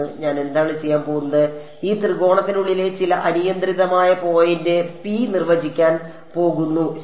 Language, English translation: Malayalam, What I am going to do I am going to define some arbitrary point p inside this triangle ok